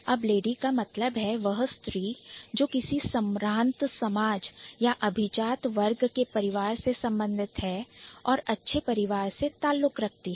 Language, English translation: Hindi, So, now lady means somebody who belongs to maybe an elite society or aristocratic family, who belongs to a well of family for that matter